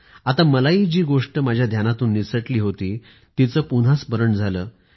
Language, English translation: Marathi, Thus I was also reminded of what had slipped my mind